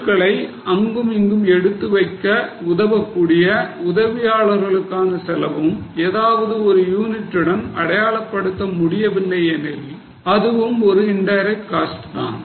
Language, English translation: Tamil, Cost of helper who help in moving items from here to there but not identifiable to any one unit then that will be an indirect cost